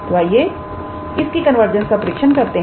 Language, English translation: Hindi, So, let us test its convergence